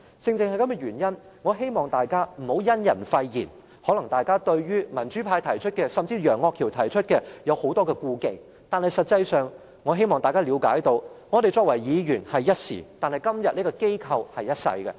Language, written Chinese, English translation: Cantonese, 正因如此，我希望大家不要因人廢言，大家可能對於民主派甚至是楊岳橋提出的修訂有很多顧忌，但我希望大家理解，我們作為議員只是一時，但今天這個機構是一世的。, Members may have much misgivings about the amendments proposed by the pro - democracy camp or even Mr Alvin YEUNG yet I hope Members will understand that we will only be Members for a limited time but the legislature today will last forever